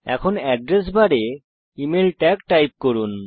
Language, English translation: Bengali, Now, in the Address bar, type the tag, email